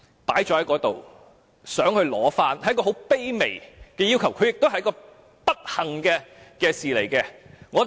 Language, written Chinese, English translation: Cantonese, 領回骨灰安放是一個很卑微的要求，也是一件不幸的事情。, Claiming for the return of the ashes of a deceased person for interment is a humble request and an unfortunate matter